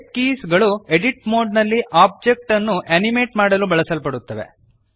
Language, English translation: Kannada, Shape Keys are used to animate the object in edit mode